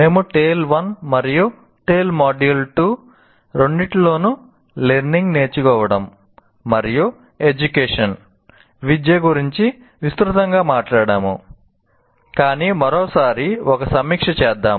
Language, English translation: Telugu, Now, we talked about learning and education extensively in both tail 1 and tail Module 2 as well, but once again let us review